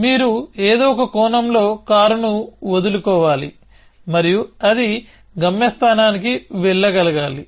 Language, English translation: Telugu, So, you have to let loose the car in some sense and it should be able to go to a destination